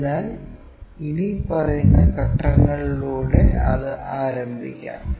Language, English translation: Malayalam, So, let us begin that with the following steps